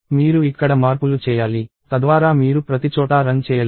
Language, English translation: Telugu, So, you have to make changes here, so that you do not run everywhere